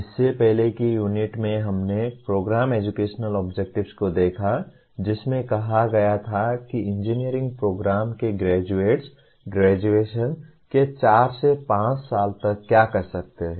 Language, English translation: Hindi, In the earlier unit we looked at Program Educational Objectives, which state that what the graduates of an engineering program are expected to be doing 4 5 years after graduation